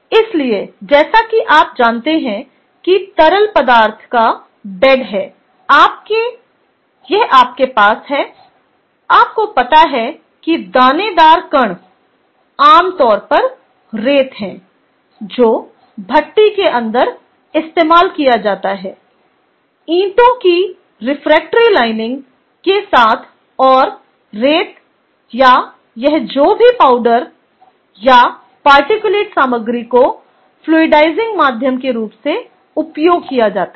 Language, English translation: Hindi, you have a, you know, granular particle, typically sand, that is being used inside a furnace with refractory lining of bricks and the sides sand or this, whatever the powdery or the particulate material is used as the fluidizing medium